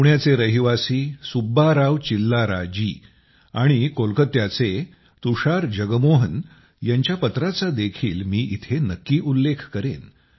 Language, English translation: Marathi, I will also mention to you the message of Subba Rao Chillara ji from Pune and Tushar Jagmohan from Kolkata